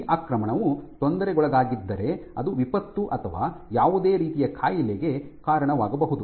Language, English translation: Kannada, So, if this invasion was somehow perturbed then that would lead to disaster or any kind of disease